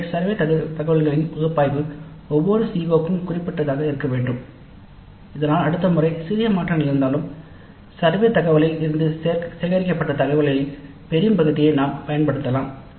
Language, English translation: Tamil, So the analysis of the survey data must be specific to each CO so that next time even if there are minor changes we can use a large part of the information gathered from the survey data